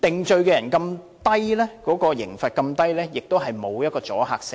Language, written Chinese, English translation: Cantonese, 再者，被定罪的人刑罰這麼低，亦毫無阻嚇性。, Moreover the penalties imposed on convicted persons are too lenient to have any deterrent effect